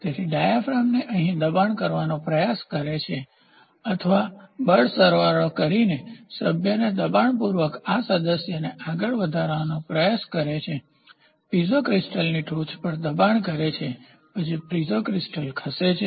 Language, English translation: Gujarati, So, this tries to push the diaphragm here or force summing member it tries to push up this member in turn pushes the Piezo pushes the top of a Piezo crystal then a Piezo crystal is moved